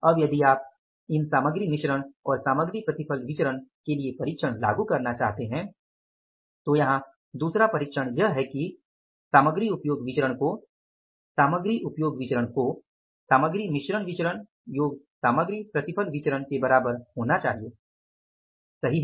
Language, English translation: Hindi, Now if you want to apply the check for these material mix mix and material yield variances, so the second check here is that the material usage variance has to be material usage variance has to be equal to the material mixed variance plus material yield variance right